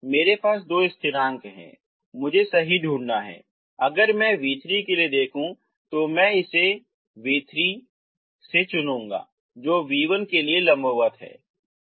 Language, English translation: Hindi, See i have two constants i have to find right, if i look for v3 i choose v3 in such a way that which is perpendicular to v1